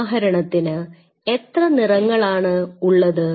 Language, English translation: Malayalam, So, say for example, how many colors